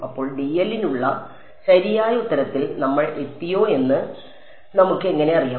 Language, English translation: Malayalam, So, how do we know whether we have reach the correct answer for dl